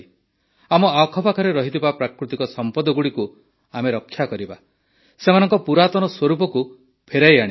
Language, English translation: Odia, Whatever natural resources are around us, we should save them, bring them back to their actual form